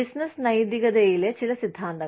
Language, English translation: Malayalam, Some theories in business ethics